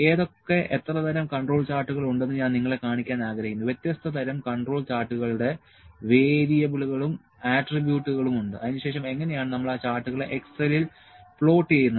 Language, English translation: Malayalam, I will like to show you what are the kinds of control charts are there, the variables and attributes of different kinds of control charts are there, then how do we plot those charts in excel